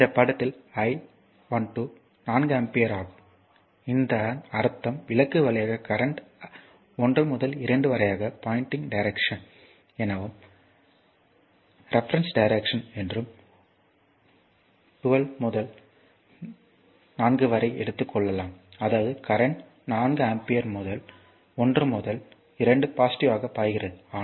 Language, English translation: Tamil, So, in this figure I 12 is 4 ampere this means that current through the lamp with it a reference direction pointing from 1 to 2, that this is a reference direction 1 to 2 that if you take 12 to 4; that means, current is flowing 4 ampere 1 to 2 positive right